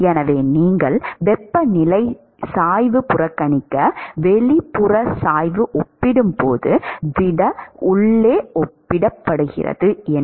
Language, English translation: Tamil, So, you neglect temperature gradient, relative to inside the solid relative to gradient outside